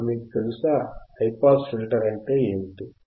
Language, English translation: Telugu, And now you know, what are high pass filters